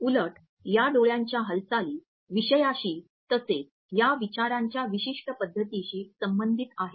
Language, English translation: Marathi, Rather these eye movements are correlated with the content we are thinking of as well as the larger pattern of these thoughts